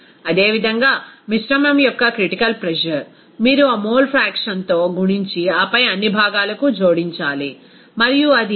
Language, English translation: Telugu, Similarly, critical pressure of the mixture, simply you have to multiply with that mole fraction and then add it up for all components and it will be coming as 101